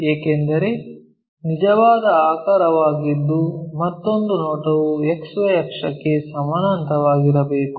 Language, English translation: Kannada, Because it is a true shape is other view must be parallel to XY axis